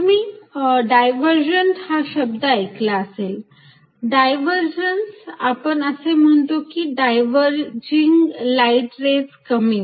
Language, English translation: Marathi, You heard the word divergent, divergence means we say views are diverging, there is diverging light rays coming